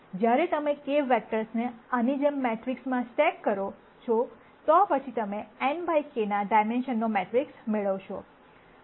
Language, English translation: Gujarati, And when you stack k vectors like this in a matrix, then you would get a matrix of dimension n by k